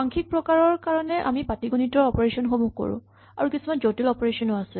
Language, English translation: Assamese, So, for the numeric types, we have arithmetic operations, we also have other operations which are more complicated